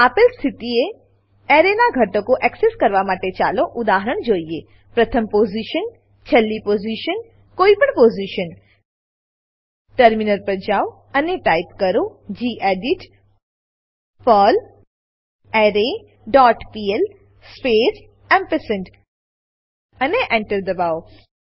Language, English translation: Gujarati, Let us look at an example for accessing elements of an array at First Position Last Position Any position Switch to the terminal and type gedit perlArray dot pl space ampersand and press Enter